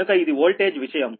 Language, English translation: Telugu, so this is the voltage thing